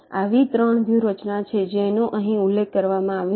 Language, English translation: Gujarati, there are three such strategies which are mentioned here